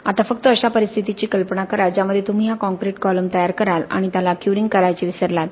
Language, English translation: Marathi, Now just imagine a scenario in which you construct this concrete column and forget to do any curing, you just simply forget to do any curing